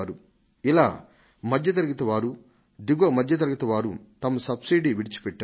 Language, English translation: Telugu, These are middle class and lower middle class families that have given up their subsidy